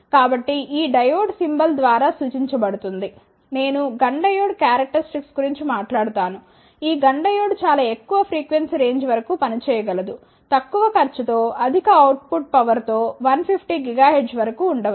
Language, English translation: Telugu, So, this diode is represented by the symbol the next I will talk about the GUNN diode characteristics, this GUNN diode can operate up to very high frequency range maybe up to 150 gigahertz with relatively high output power at low cost